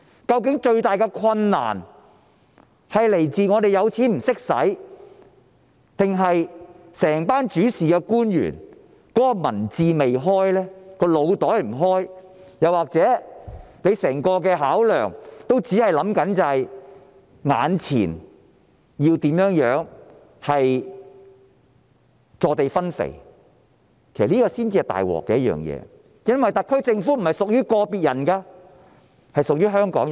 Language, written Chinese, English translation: Cantonese, 究竟最大的困難是否有錢不懂得用，還是整群主事官員的民智未開、腦袋未開，又或是整個考量也只是志在坐地分肥，這才是最大的問題，因為特區政府並非屬於個別人士，而是屬於香港人。, Does the biggest difficulty lie in the fact that they do not know how to spend the money or is it because both the intellect and the brain of the whole bunch of officials in charge have not been developed or is their only consideration just about sharing out gains with folded arms? . This is the biggest problem because the SAR Government belongs not to any individuals but to everyone in Hong Kong